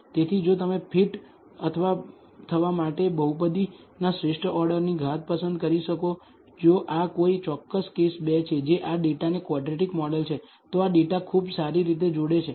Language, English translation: Gujarati, So, you can choose the optimal order degree of the polynomial to fit if this particular case as 2 that is a quadratic model ts this data very well